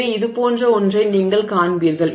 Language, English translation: Tamil, So, you will see something like this